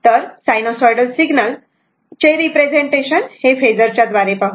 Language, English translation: Marathi, So, representation of an sinusoidal signal by phasor if you look into that all, right